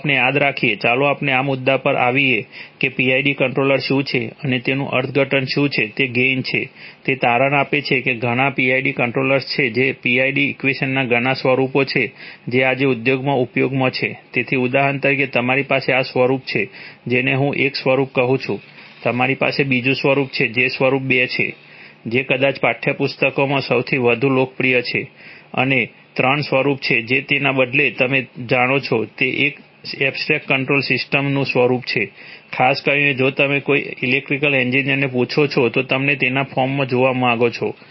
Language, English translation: Gujarati, Let us remember, let us come to this point that what is the PID controller and what are the interpretation of it is gains, it turns out that there are several PID controllers which are, several forms of the PID equation which are in use in the industry today, so for example you have this form, which is called, which I call form one, you have the other form which is form two, which is probably the most popular in textbooks and form three which is a rather, you know, which is an abstract control systems kind of form, typically if you ask an, if you ask any an electrical engineers you would like to see it in this form okay